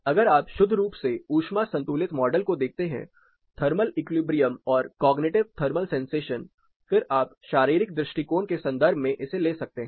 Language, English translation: Hindi, If you look purely at the heat balanced model thermally equilibrium and cognitive thermal sensation then you can deal with it in terms of physiological approach